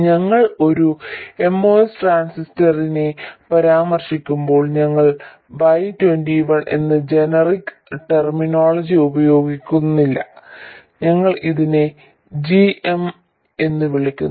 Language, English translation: Malayalam, And when we refer to a MOS transistor we don't use the generic terminology Y21, we refer to this as GM